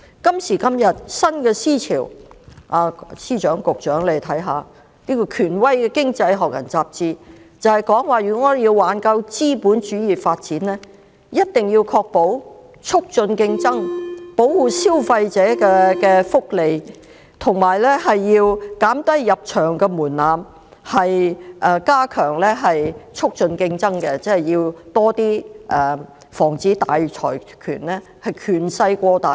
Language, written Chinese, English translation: Cantonese, 今時今日，新思潮湧現，請司長及局長看看，權威的《經濟學人》雜誌指出，如果我們要挽救資本主義發展，一定要確保促進競爭、保護消費者的福祉，以及減低入場門檻，加強促進競爭，即是要多加防止大財團權勢過大。, New ideological trends are emerging nowadays will the Chief Secretary and Bureau Directors please take a look at the fact that The Economist an authoritative magazine has pointed out that if we have to save the development of capitalism we must ensure the promotion of competition protect the interests of consumers and lower the threshold of market entry to strengthen competition which means that we must step up our efforts to prevent large consortia from overly expanding their dominance